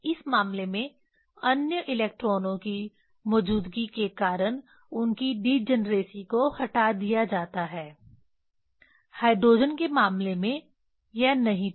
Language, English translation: Hindi, In this case this their degeneracies are removed due to presence of the other electrons in case of hydrogen it was not there